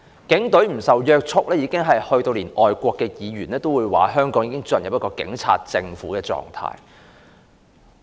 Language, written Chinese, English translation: Cantonese, 警隊不受約束，連外國的議員也指香港進入警察政府的狀態。, Yet the Police are so out of control that even overseas parliamentarians have alleged that Hong Kong is run by a police government